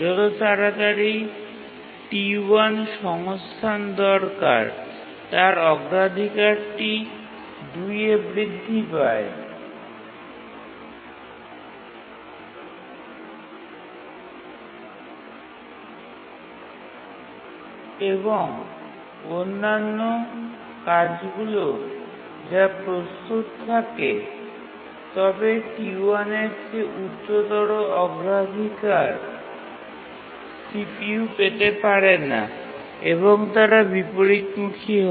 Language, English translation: Bengali, T1 as it acquires the resource, its priority increases to two and the other tasks needing the research which are ready but higher priority than T1 cannot get CPU and they undergo inversion, we call it as the inheritance related inversion